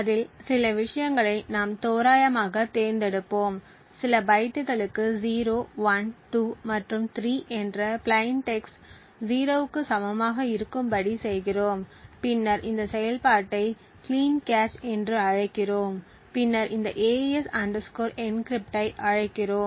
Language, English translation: Tamil, We randomly select some things on it and for certain bytes the plain text 0, 1, 2 and 3 we make the higher nibble to be equal to 0 then we invoke this function called cleancache and then we invoke this AES encrypt